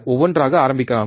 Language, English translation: Tamil, Let us start one by one